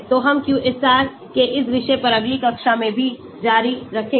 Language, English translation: Hindi, So, we will continue further on this topic of QSAR in the next class as well